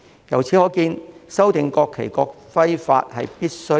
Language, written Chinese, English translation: Cantonese, 由此可見，修訂《國旗法》及《國徽法》實屬必要。, It can thus be seen that there is indeed the need to amend the National Flag Law and National Emblem Law